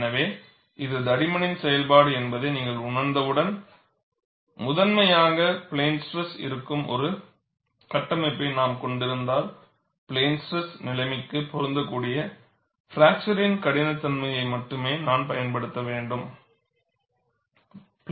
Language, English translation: Tamil, So, once you recognize it is a function of thickness, if I am having a structure which is primarily in plane stress, I should use only the fracture toughness applicable for plane stress situation